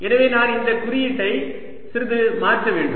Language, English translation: Tamil, so i should just change the notation a bit